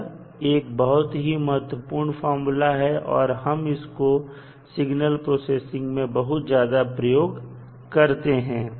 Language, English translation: Hindi, So, this is very important property and we use extensively in the signal processing